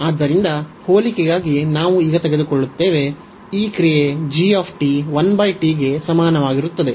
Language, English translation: Kannada, So, we take now for the comparison this function g t is equal to 1 over t so we take 1 over t